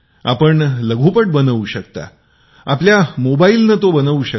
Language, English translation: Marathi, You can make a short film even with your mobile phone